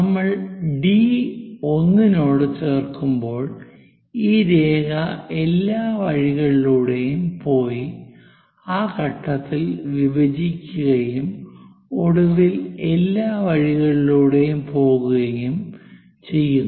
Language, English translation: Malayalam, When we are joining D to 1 dash, this line goes all the way intersect at that point, then finally goes all the way